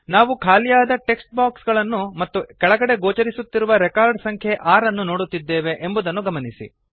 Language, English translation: Kannada, Notice that we see empty text boxes and the record number at the bottom says 6